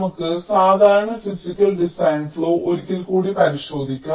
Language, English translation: Malayalam, ok, so let us revisit the typical physical design flow once more